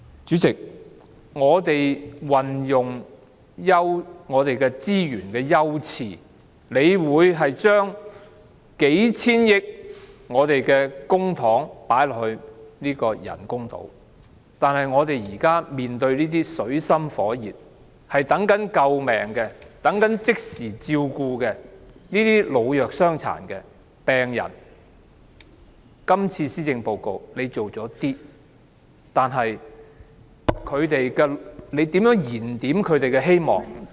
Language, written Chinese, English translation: Cantonese, 主席，就運用資源的優次方面，政府將幾千億元公帑投放於發展人工島；針對正處於水深火熱、等待救命及即時照顧的老弱傷殘及病人，特首在這份施政報告中推出了一些措施，但如何為他們燃點希望？, President in terms of priority in the utilization of resources the Government will allocate hundreds of billions of dollars to the development of artificial islands . As for those elderly people persons with disabilities and patients who live in dire straits and in need of rescue and immediate care what should be done to rekindle their hope apart from the measures introduced by the Chief Executive in this Policy Address?